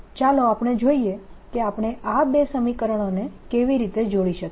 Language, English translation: Gujarati, let us see how we can combine these two waves, these two equations